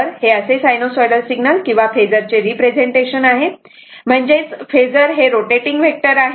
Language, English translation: Marathi, This how that sinusoidal ah representation of an sinusoidal signal by a phasor; that means, phasor actually phasor is a rotating vector, right